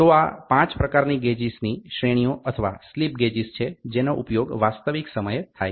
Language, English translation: Gujarati, So, these are the 5 grades gauges grades or slip gauges which are used in real time